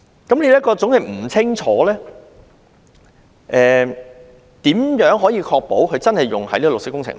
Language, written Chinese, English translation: Cantonese, 由於內容是這麼的不清楚，如何確保款項真的用於綠色工程？, As the details are so unclear how can we ensure that the sums will indeed be expended on green works projects?